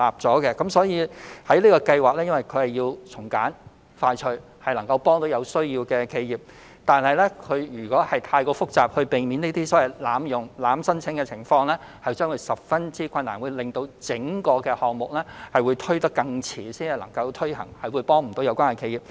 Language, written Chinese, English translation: Cantonese, 由於我們希望"保就業"計劃能夠從簡和快速推行，從而幫助有需要的企業，如果設計得太複雜，以避免出現濫用情況，便會造成很大困難，令整個項目更遲才能夠推行，也無法幫助有關企業。, We wish to implement ESS in a simple and quick manner to help enterprises in need . If ESS is designed in a complicated way to avoid abuse great difficulties will arise . The whole project can only be implemented at a later date and cannot offer help to the enterprises concerned